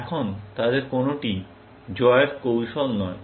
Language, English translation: Bengali, Now, none of them is a winning strategy